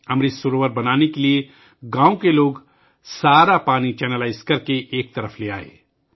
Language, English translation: Urdu, To make the Amrit Sarovar, the people of the village channelized all the water and brought it aside